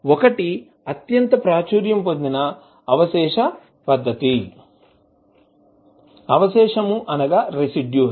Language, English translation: Telugu, The one, the most popular technique is residue method